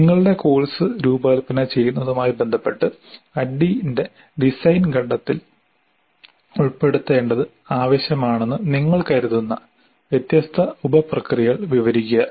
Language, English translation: Malayalam, Describe any different sub processes you consider necessary to be included in the design phase of ID with respect to designing your course